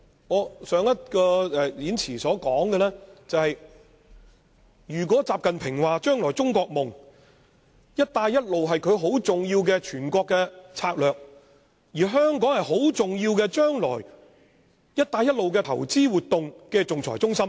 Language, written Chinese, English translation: Cantonese, 我在上次發言中提到，習近平說將來中國夢，"一帶一路"是很重要的全國策略，而香港將來是"一帶一路"很重要的投資活動仲裁中心。, Last time I quoted XI Jinping as saying that the Belt and Road Initiative is a very important national strategy in his version of China Dream while Hong Kong will be a very important investment arbitration centre for the Belt and Road Initiative